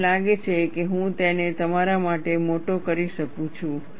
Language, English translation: Gujarati, And I think, I can magnify this for you